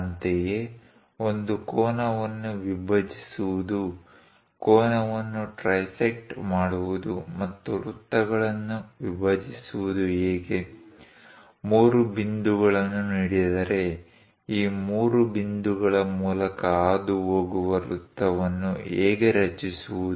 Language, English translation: Kannada, Similarly, how to bisect an angle, how to trisect an angle, how to divide circles, if three points are given how to construct a circle passing through these three points